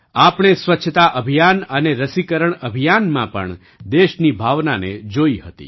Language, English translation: Gujarati, We had also seen the spirit of the country in the cleanliness campaign and the vaccination campaign